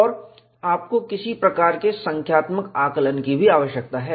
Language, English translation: Hindi, And you also need to have, some kind of a quantitative estimation